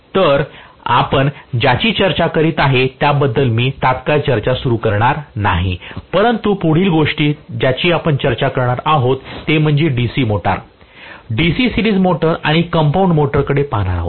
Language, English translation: Marathi, So, the next one we will be discussing I am just not going to immediately start discussing but the next things that we will be discussing will be shunt DC motor, DC series motor and we will also be looking at compound motor